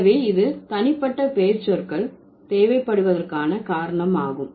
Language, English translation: Tamil, So, that's the reason why you need personal pronouns